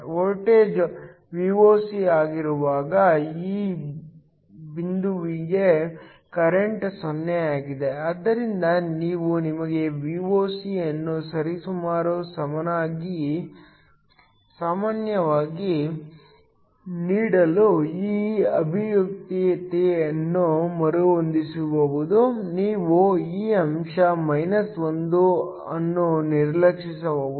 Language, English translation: Kannada, When the voltage is Voc which refers to this point the current is 0, so we can rearrange this expression to give you Voc to be approximately equal you can neglect this factor 1 to bekTeln IphIso